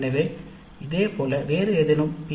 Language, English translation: Tamil, So, similarly, if any other P